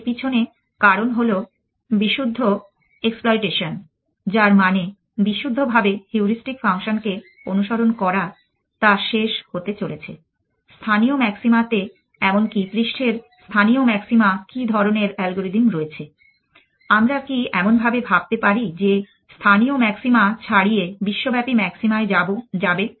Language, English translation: Bengali, The reason behind that is at exploit pure exploitation which means purely following the heuristic function is going to end of in local maxima even in the surface has local maxima what kind of algorithm